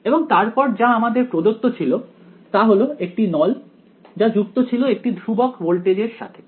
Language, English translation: Bengali, And further what was given was that this cylinder was connected to a constant voltage right